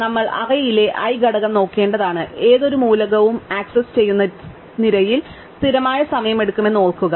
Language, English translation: Malayalam, We just have to look up the ith element in the array and remember that in an array accessing any element takes constant time